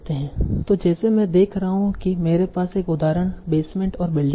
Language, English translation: Hindi, So like I am seeing that I have an example, basement and building